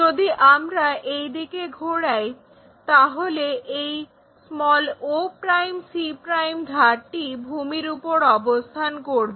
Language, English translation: Bengali, If I am rotating it in that direction this o' c' edge has to be resting on the ground